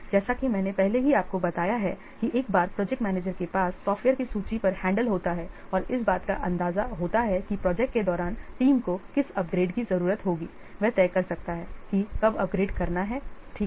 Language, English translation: Hindi, As I have already told you, once the project manager has the handle on the list of software and an idea of what upgrades the team will need to make during the project, he can decide when to upgrade